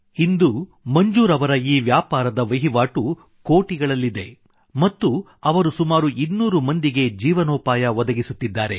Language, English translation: Kannada, Today, Manzoor bhai's turnover from this business is in crores and is a source of livelihood for around two hundred people